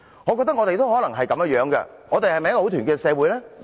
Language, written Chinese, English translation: Cantonese, "我認為我們可能也是這樣，我們是否很團結的社會？, Translation I think we are in the same situation . Is our society united? . Certainly not